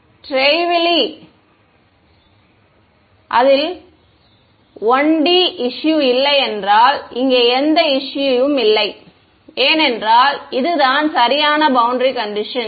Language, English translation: Tamil, Trivially good right if its 1 D problem there is no there is absolutely no issue over here, because this is the perfect boundary condition right